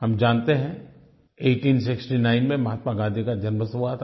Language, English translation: Hindi, We know that Mahatma Gandhi was born in 1869